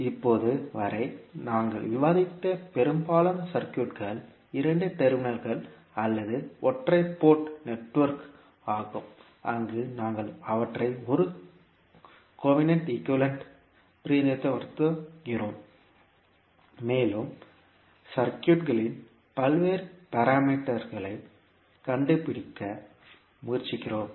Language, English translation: Tamil, So, most of the circuit which we have discussed till now were two terminal or single port network, where we were representing them as a covenant equivalent and we were trying to find out the various parameters of the circuit